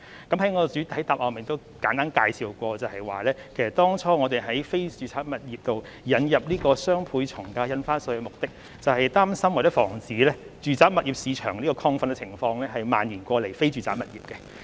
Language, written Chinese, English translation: Cantonese, 其實我在主體答覆已作簡單介紹，當初我們就非住宅物業引入雙倍從價印花稅的目的，是擔心或防止住宅物業市場的亢奮情況蔓延至非住宅物業。, Actually I have briefly answered this question in the main reply . The objective of introducing the doubled ad valorem stamp duty on non - residential properties is that we are concerned or we want to forestall the spread of the overheating in the residential property market to the non - residential property market